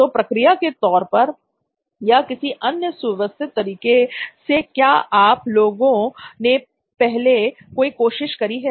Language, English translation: Hindi, So in terms of process or in terms of some kinds of systematic way, have you guys attempted something in the past